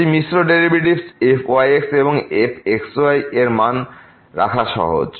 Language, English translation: Bengali, If the mixed derivatives this and it is easy to remember